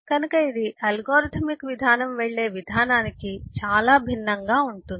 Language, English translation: Telugu, it is quite different from the way the algorithmic approach will go